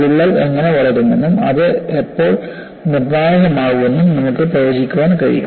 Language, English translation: Malayalam, You are able to predict how the crack will grow and when does it become critical